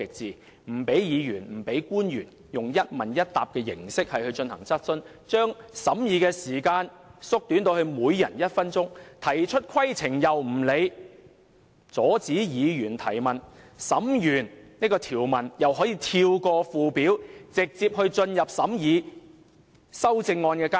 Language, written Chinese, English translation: Cantonese, 她不許議員和官員以一問一答的形式進行質詢環節，把審議時間縮短至每人一分鐘，對議員提出的規程問題又不加理會，更阻止議員提問，完成審議條文後，竟可跳過附表，直接進入審議修正案階段。, She disallowed the usual question - and answer format for members to put questions to government officials . She also shortened the time for scrutiny giving each Member just one minute to speak . She ignored the points of order which Members raised